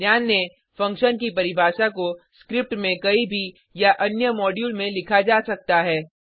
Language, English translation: Hindi, Note: function definition can be written anywhere in the script or in another module